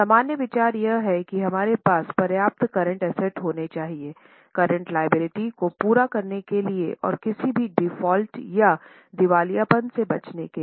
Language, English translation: Hindi, General idea is we should have enough of current assets to meet the current liabilities and avoid any default or bankruptcy